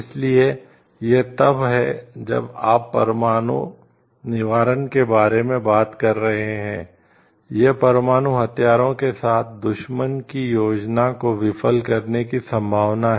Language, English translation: Hindi, So, it is like when you are talking of nuclear deterrence it is the possibility of thwarting an enemy s plans with nuclear weapons